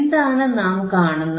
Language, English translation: Malayalam, And what we see here